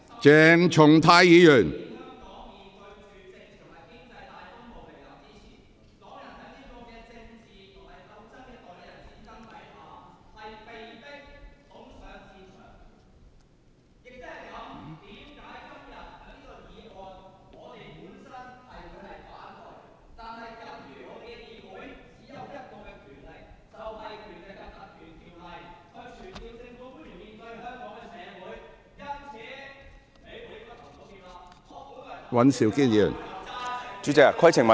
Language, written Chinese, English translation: Cantonese, 鄭松泰議員，請坐下。, Dr CHENG Chung - tai please sit down